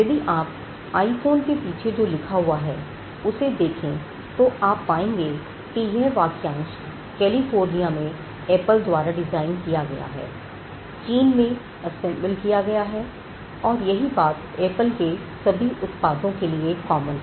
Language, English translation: Hindi, Now, if you look at the writing at the back of the iPhone, you will find that the phrase designed by Apple in California and assembled in China is almost common for all Apple products and more particularly for iPhones